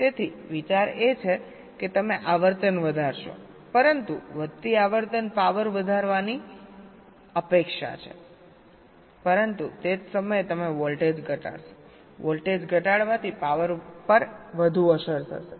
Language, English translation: Gujarati, so the idea is that you increase the frequency, but increasing frequency is expected to increase the power, but at the same time you decrease the voltage